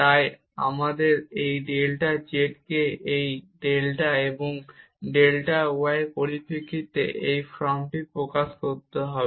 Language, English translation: Bengali, So, this delta z is delta x delta y over delta x square plus delta y square and d z is 0